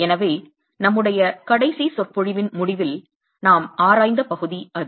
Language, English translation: Tamil, So, that's the part that we were examining at the end of our last lecture